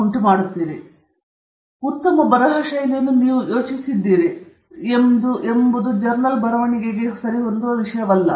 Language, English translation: Kannada, So, what you have thought as a very good style of writing is exactly the thing that is not acceptable in journal writing okay